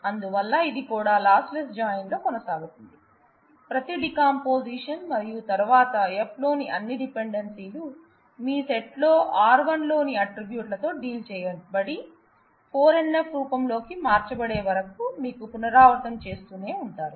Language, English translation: Telugu, So, this also continues to be in lossless join, with every decomposition and then you keep on repeating till all dependencies in F, in your set has been dealt with the attributes in R 1 and have converted them into the 4 NF form